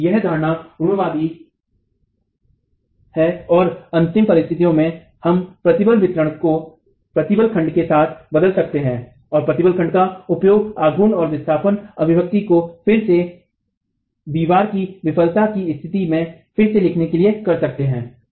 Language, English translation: Hindi, So, this assumption is conservative and at ultimate conditions we can then replace the stress distribution with the stress block and use the stress block to rewrite the moment and displacement expression at the failure condition of the wall itself